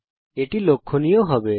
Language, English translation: Bengali, Drag it tracing the triangle